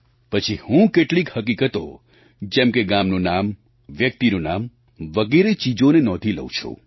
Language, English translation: Gujarati, Then, I note down facts like the name of the village and of the person